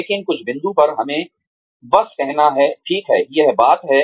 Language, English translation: Hindi, But, at some point, we have to just say, okay, that is it